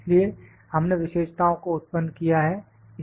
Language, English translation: Hindi, So, this is we have generated the features